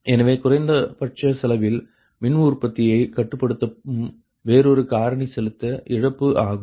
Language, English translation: Tamil, so another factor that influence the power generation at minimum cost is a transmission loss, right